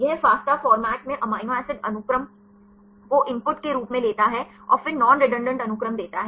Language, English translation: Hindi, It takes amino acid sequence in fasta format as the input and then give the non redundant sequences